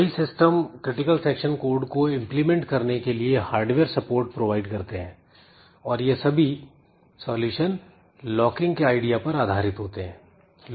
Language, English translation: Hindi, So, many systems provide hardware support for implementing the critical section code and all solutions are based on the idea of locking